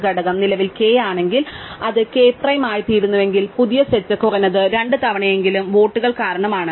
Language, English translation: Malayalam, If the component is currently k and it becomes k prime, then new set is at least twice as big as the old set, right